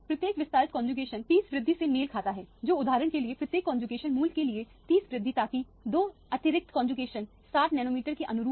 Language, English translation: Hindi, Each extended conjugation corresponds to 30 increment which corresponds to for example, 30 increment for each conjugation value so that will two extra conjugation will correspond to 60 nanometer